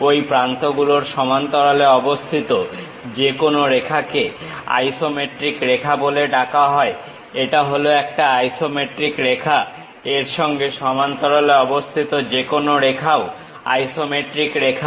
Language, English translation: Bengali, Any line parallel to one of these edges is called isometric lines; this is one isometric line, any line parallel to that also isometric lines